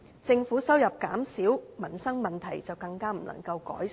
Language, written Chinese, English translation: Cantonese, 政府收入減少，民生問題便更不能改善。, A reduction in income will just hamper the Governments ability to resolve livelihood - related problems